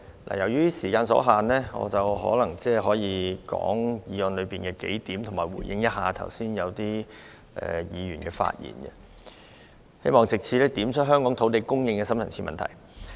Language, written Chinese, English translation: Cantonese, 由於時間所限，或許我只能就議案的幾點發言，以及回應剛才某些議員的發言，希望藉此點出香港土地供應的深層次問題。, Due to the limited speaking time perhaps I can only speak on several points regarding the motion and respond to the remarks made by some Honourable Members just now . I hope to point out the deep - seated problems of land supply in Hong Kong